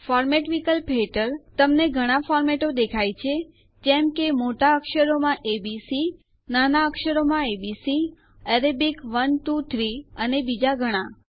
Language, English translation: Gujarati, Under the Format option, you see many formats like A B C in uppercase, a b c in lowercase, Arabic 1 2 3 and many more